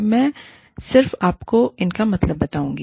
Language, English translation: Hindi, I will just tell you, what these mean